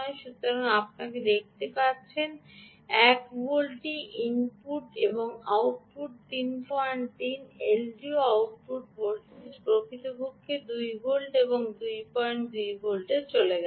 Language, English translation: Bengali, so you can see that the one volt is the input and output is gone to three point three and l d o output indeed goes to two volts, two point two volts